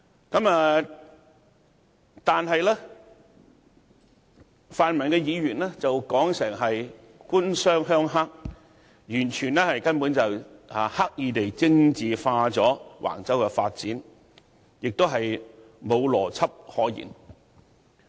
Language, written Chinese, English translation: Cantonese, 可是，泛民議員卻說成是"官商鄉黑"，這根本是刻意將橫洲發展政治化，並無邏輯可言。, Nonetheless Members from the pan - democratic camp interpreted it as government - business - rural - triad collusion which is deliberate politicization of the Wang Chau development . It is totally irrational